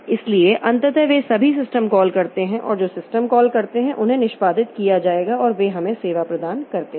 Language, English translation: Hindi, So ultimately all of them boil down to system calls and those system calls they will be executed and they gives us the service